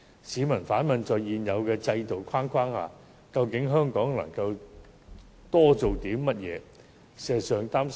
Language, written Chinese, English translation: Cantonese, 市民反問，在現有制度框架下，香港究竟可多做些甚麼事？, What more members of the public wonder instead can Hong Kong do under the existing institutional framework?